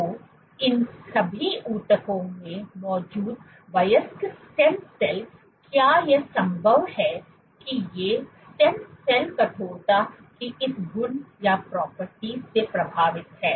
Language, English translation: Hindi, So, adult stem cells they exist in all these tissues is it possible that these stem cells are influenced by this property of stiffness